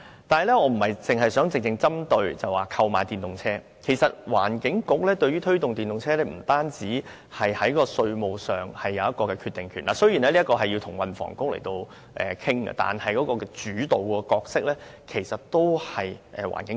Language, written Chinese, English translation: Cantonese, 但是，我不想只針對購買電動車的問題，因為環境局對於推動電動車的使用不止是在稅務上有決定權——雖然這需要與運輸及房屋局討論，但主導角色其實是環境局。, But I do not intend to limit my discussion to the purchase of EVs because the job of the Secretary for the Environment in promoting EVs is more than making just a taxation decision . And I must say that although the Housing and Transport Bureau also has a role to play the policy of promoting EVs is mainly guided by the Environment Bureau